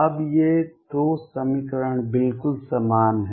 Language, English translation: Hindi, Now, these 2 equations are exactly the same